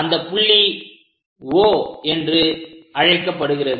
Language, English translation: Tamil, So, let us call this point as O